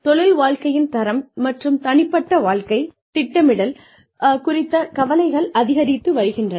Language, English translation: Tamil, Rising concerns for, quality of work life, and for personal life planning